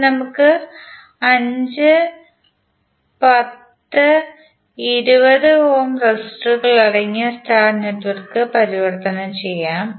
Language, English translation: Malayalam, Now let us convert the star network comprising of 5, 10 and 20 ohm resistors